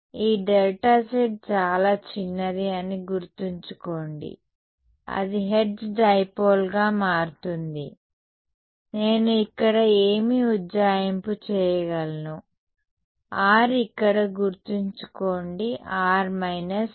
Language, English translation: Telugu, Remember, this delta z is very very small that is what makes its a Hertz dipole, what approximation can I make over here, remember r over here is mod r minus r prime